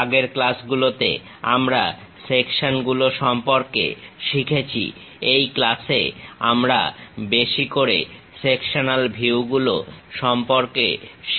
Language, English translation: Bengali, In the earlier classes, we have learned about Sections, in this class we will learn more about Sectional Views